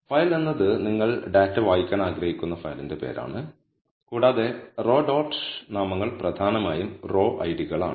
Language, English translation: Malayalam, Now file is the name of the file from which you want to read the data and row dot names are essentially the row ids